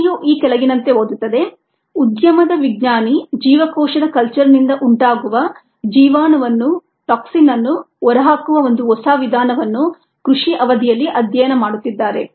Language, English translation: Kannada, the question reads is: follows and industry scientist is studying a novel method of disposing a toxin that results from cells culture during the course of cultivation